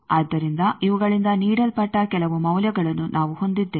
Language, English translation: Kannada, So, we have some value that is given by these